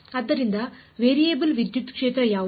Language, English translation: Kannada, So, what is the variable electric field